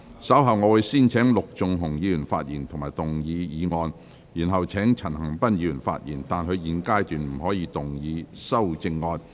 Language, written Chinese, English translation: Cantonese, 稍後我會先請陸頌雄議員發言及動議議案，然後請陳恒鑌議員發言，但他在現階段不可動議修正案。, I will first call upon Mr LUK Chung - hung to speak and move the motion at a later stage . Then I will call upon Mr CHAN Han - pan to speak but he may not move the amendment at this stage